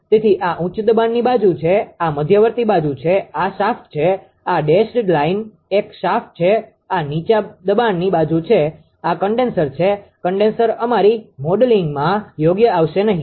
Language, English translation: Gujarati, So, this is high pressure side this is the intermediate side, this is shaft this dashed line is a shaft this is low pressure side, this is condenser condenser will not come into our modeling right